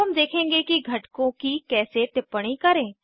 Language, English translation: Hindi, We would now see how to annotate components